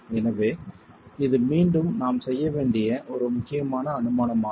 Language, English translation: Tamil, So this is again an important assumption that we make